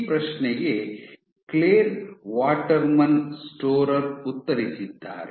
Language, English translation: Kannada, So, this question was answered by Clare Waterman Storer